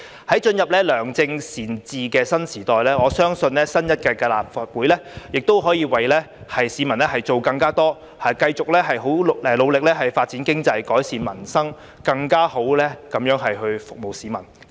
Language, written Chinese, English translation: Cantonese, 在進入良政善治的新時代，我相信新一屆立法會亦可以為市民做更多事情，繼續很努力發展經濟、改善民生，更好地服務市民。, On the cusp of a new era of good governance I believe that the new - term Legislative Council can do more for the public and continue working hard to develop the economy improve peoples livelihood and better serve the public